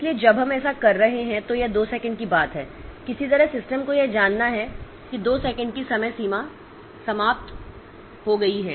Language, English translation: Hindi, So, when we are doing that, so this two second thing somehow the system has to know that two second has expired